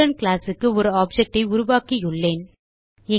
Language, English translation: Tamil, Thus we have created an object of the Student class